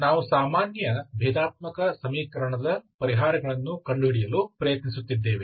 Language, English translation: Kannada, Welcome back, we are trying to find the solutions of ordinary differential equation